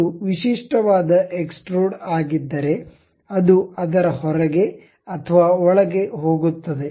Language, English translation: Kannada, If it is the typical extrude thing, it goes either outside or inside of that